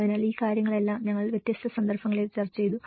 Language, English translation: Malayalam, So all these things, we did discussed in different cases